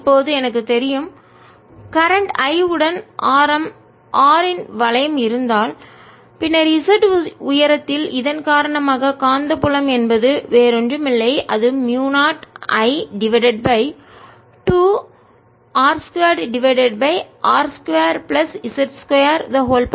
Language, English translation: Tamil, now i know, if i have a ring of radius r with current i, then at height z the magnetic field due to this is nothing but mu zero i over two r square over r square plus z square raise to three by two and it's in the z direction